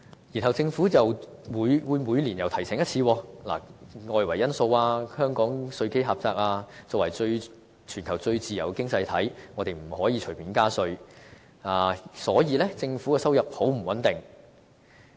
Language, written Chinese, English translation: Cantonese, 然後政府每年又會提醒一次：外圍因素、香港稅基狹窄、作為全球最自由的經濟體，香港不能隨便加稅，因此政府的收入很不穩定。, The Government will then remind us once again each coming year about the external factors the narrow tax base in Hong Kong and the infeasibility of raising tax casually given the citys status as the freest economy in the world . All these will then point to a conclusion that the Governments revenue is unstable